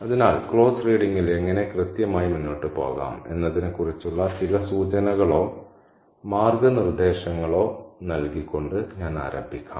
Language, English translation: Malayalam, So, let me begin with offering some cues or guidelines as to how exactly to proceed with close reading